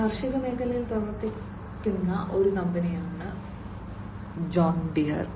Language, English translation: Malayalam, John Deere is a company which is in the agriculture space